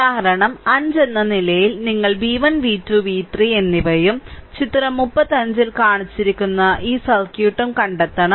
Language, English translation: Malayalam, So, as example 5 you have to find out v 1, v 2, and v 3, and i of this circuit shown in figure 35